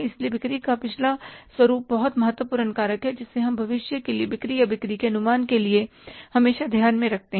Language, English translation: Hindi, So, past pattern of sales is the first important factor which we always bear in mind for forecasting the sales or the sales estimation for the future